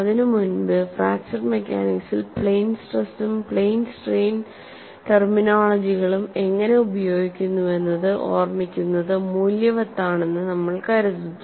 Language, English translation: Malayalam, And before we proceed into that, it is worthwhile to recall, how plane stress and plane strain terminologies are used in fracture mechanics